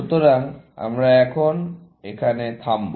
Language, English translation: Bengali, So, we will stop here, now